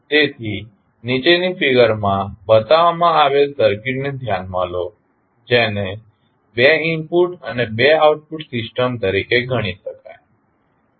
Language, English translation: Gujarati, So, consider the circuit which is shown in the figure below, which may be regarded as a two input and two output system